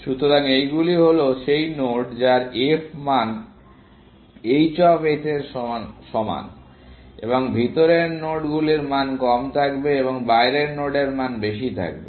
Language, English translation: Bengali, So, these are the nodes whose f value is equal to that value h of s, and nodes inside will have lesser value, and the nodes outside have greater value